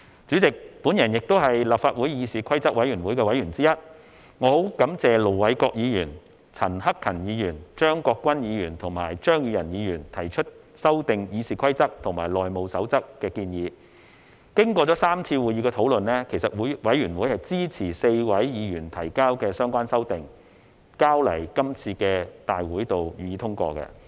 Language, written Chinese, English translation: Cantonese, 主席，我也是立法會議事規則委員會的委員之一，我十分感謝盧偉國議員、陳克勤議員、張國鈞議員及張宇人議員提出修訂《議事規則》和《內務守則》的建議，經過3次會議的討論，其實委員會支持4位議員提交的相關修訂，並提交今次大會予以通過。, President I am also a member of the Committee on Rules of Procedure of the Legislative Council . I am grateful to Ir Dr LO Wai - kwok Mr CHAN Hak - kan Mr CHEUNG Kwok - kwan and Mr Tommy CHEUNG for their inputs in amending RoP and the House Rules . We discussed the amendments in three meetings and Committee members were supportive of the amendments proposed by the four members